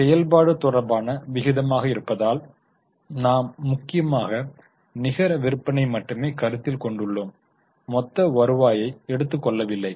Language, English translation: Tamil, Since this is operating related, we are mainly considering only net sales and not taking total revenue